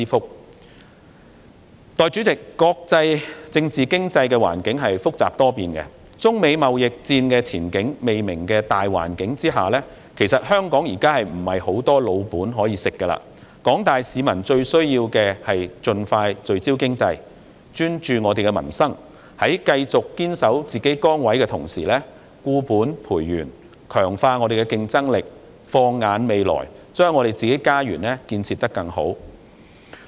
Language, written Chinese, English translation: Cantonese, 代理主席，國際政治經濟環境複雜多變，在中美貿易戰的前景未明的大環境下，其實香港現在沒有很多"老本"可以吃，廣大市民最需要盡快聚焦經濟，專注民生，在繼續堅守自己崗位的同時，固本培元，強化香港的競爭力，放眼未來，把自己的家園建設得更好。, Against the general background of uncertainties in the China - United States trade war now Hong Kong actually does not have too many laurels on which it can rest . What the community at large needs most is to expeditiously focus on the economy and concentrate on livelihood issues . While remaining steadfast in our posts we should reinforce our strengths enhance the competitiveness of Hong Kong and be forward - looking thereby making Hong Kong a better home